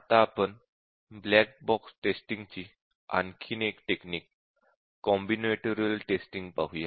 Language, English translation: Marathi, Now let us look at Combinatorial Testing, which is another black box testing technique